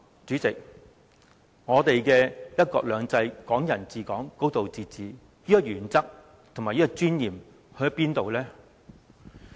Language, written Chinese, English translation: Cantonese, 這樣，我們的"一國兩制、港人治港、高度自治"的原則和尊嚴去了哪裏？, As such where are the principles and dignity of one country two systems Hong Kong people ruling Hong Kong and a high degree of autonomy?